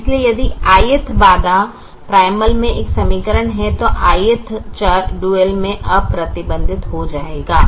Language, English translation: Hindi, so if the i'th constraint is an a equation in the primal, then the i'th variable will be unrestricted in the dual